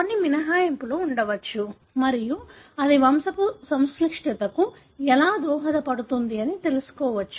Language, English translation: Telugu, There could be some exceptions and how that might contribute to the complexity in the pedigree